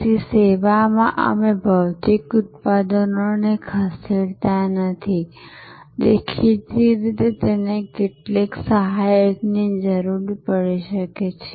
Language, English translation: Gujarati, So, in service we do not move physical products; obviously, it may need some accessory movement